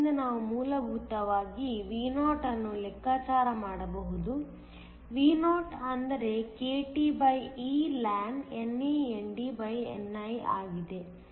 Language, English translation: Kannada, So, we can essentially calculate Vo; Vo is kTeln NANDni2